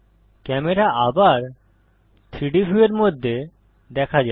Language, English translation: Bengali, The camera can be seen again in the 3D view